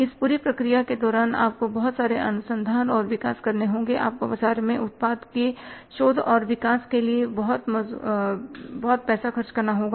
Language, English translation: Hindi, During this entire process you have to do lot of research and development, you have to spend lot of money for researching and developing the product in the market